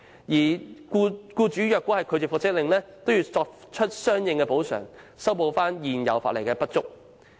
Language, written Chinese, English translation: Cantonese, 如果僱主拒絕遵行復職令，便須作出補償，此規定可彌補現行法例的不足。, Any employers who refuse to comply with the reinstatement order will be required to make compensation . This requirement can make up the inadequacies of the current legislation